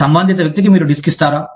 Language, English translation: Telugu, Do you give a disk, to the person concerned